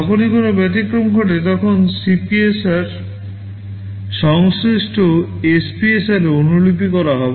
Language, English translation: Bengali, Whenever any exception occurs, the CPSR will be copied into the corresponding SPSR